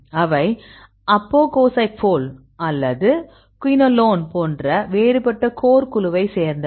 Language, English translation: Tamil, So, they belongs to the different core like apogossypol or the quinolone and so, on